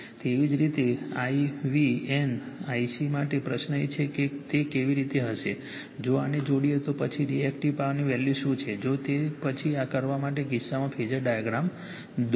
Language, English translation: Gujarati, Similarly, for I v n I c , the question is , how it will be , if, you to connect this , how it what is the value of then Reactive Power; however, doing it then , in this case you draw the phasor diagram